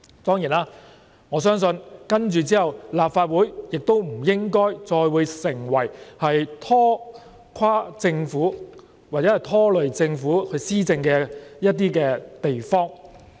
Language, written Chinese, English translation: Cantonese, 當然，我相信接着立法會亦不應再會成為拖垮或拖累政府施政的地方。, Of course I believe the future Legislative Council will no longer be the place to ruin or disrupt policy implementation by the Government